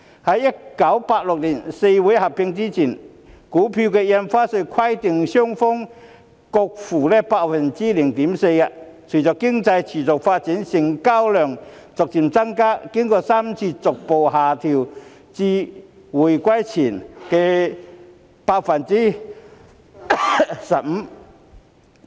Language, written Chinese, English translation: Cantonese, 在1986年四會合併前，印花稅規定買賣雙方各付 0.4%； 隨着經濟持續發展，成交量逐漸增加，經過3次逐步下調至回歸前的 0.15%。, Before the four exchanges were unified in 1986 both buyers and sellers were required to pay 0.4 % Stamp Duty; with continuous economic development the transaction volume gradually increased and the rate of Stamp Duty had been reduced three times to 0.15 % before the reunification